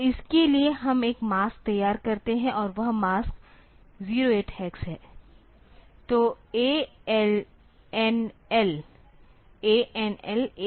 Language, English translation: Hindi, So, for that we prepare a mask and that mask is 08 hex